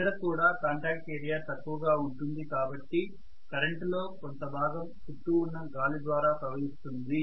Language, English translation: Telugu, Then also the contact area decreases because of which may be some portion of the current has to flow through the surrounding air